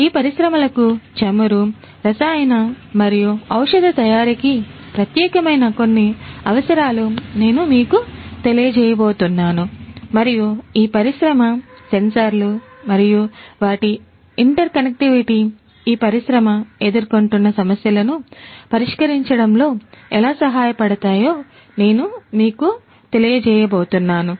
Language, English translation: Telugu, But I am going to expose you to some of the requirements that are specific to these industries oil chemical and pharmaceutical and how these specific sensors and their interconnectivity can help address the issues that these industry space face